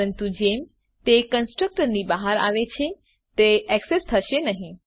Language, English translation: Gujarati, But once they come out of the constructor, it is not accessible